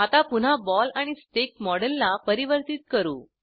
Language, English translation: Marathi, Let us now convert it back to ball and stick model